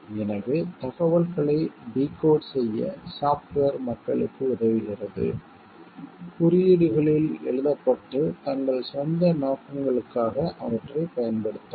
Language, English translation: Tamil, So, software s help people to decode information; written in codes and to use them for their own purposes